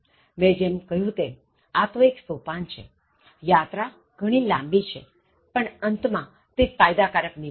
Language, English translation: Gujarati, As I said, this is just a step and the journey is quite long, but it is rewarding at the end of the journey